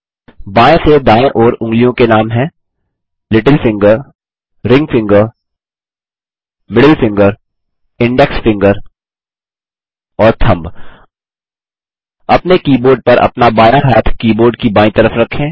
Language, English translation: Hindi, Fingers, from left to right, are named: Little finger, Ring finger, Middle finger, Index finger and Thumb On your keyboard, place your left hand, on the left side of the keyboard